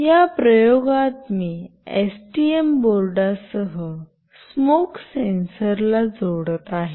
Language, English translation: Marathi, In this experiment, I will be connecting a smoke sensor along with STM board